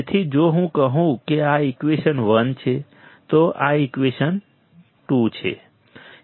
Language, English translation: Gujarati, So, what we will have this is if I say this is equation 1, this is equation 2